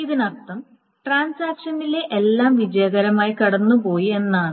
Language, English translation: Malayalam, Now this means that everything in the transaction has gone through successfully